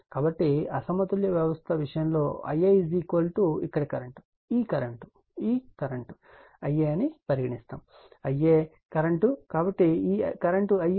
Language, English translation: Telugu, So, in the case of unbalanced system, I a is equal to say current here, this current is your what you call this current, this is I a current, so this current is I a right